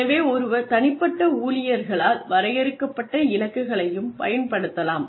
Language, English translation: Tamil, So, one can also use the goals, that are defined by individual employees